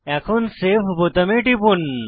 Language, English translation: Bengali, Now click on Save button